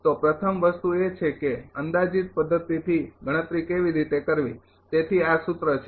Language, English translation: Gujarati, So, first thing is how to calculate approximate method right so, this is the formula